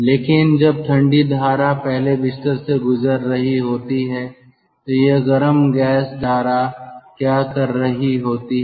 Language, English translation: Hindi, but when the cold stream is passing through this ah, um, through this, ah, through this first bed, what the hot gas stream is doing